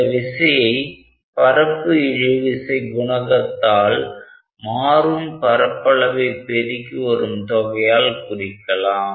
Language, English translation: Tamil, That is the surface tension coefficient times the change in area